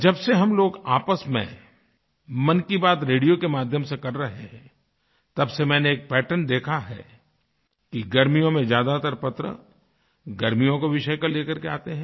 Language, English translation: Hindi, Ever since we have begun conversing with each other in 'Mann Ki Baat' through the medium of radio, I have noticed a pattern that in the sweltering heat of this season, most letters focus around topic pertaining to summer time